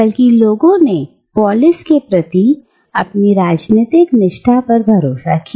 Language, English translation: Hindi, Rather, people owed their political allegiance to a polis